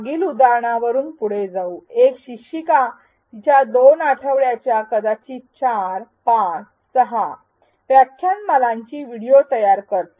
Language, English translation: Marathi, Continuing on the previous example, an instructor creates videos of her lecture class for 2 weeks perhaps 4 5 or 6 lectures